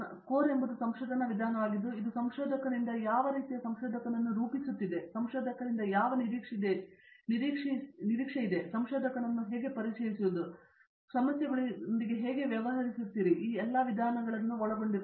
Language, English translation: Kannada, The core is a research methodology which is against, which sort of it is making of a researcher which introduces a researcher to what is expected out of a researcher, how do you deal with problems and all of it’s a methodology course